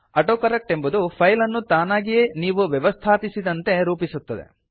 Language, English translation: Kannada, AutoCorrect automatically formats the file according to the options that you set